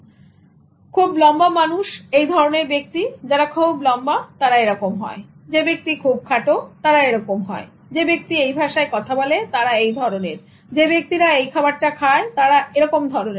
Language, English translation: Bengali, So height people are people who are tall or like this, people who are short are like this, people who speak this language are like this, people who eat this food are like this